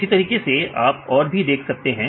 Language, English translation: Hindi, So, you can see the same way